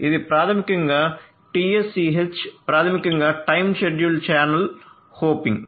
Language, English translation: Telugu, So, this is basically TSCH, TSCH basically stands for Time Scheduled Channel Hopping